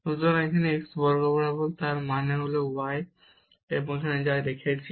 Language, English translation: Bengali, So, this is along x axis; that means, the y is 0, so we have kept here y 0